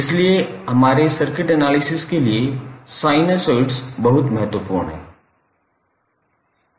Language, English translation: Hindi, So, therefore the sinusoids are very important for our circuit analysis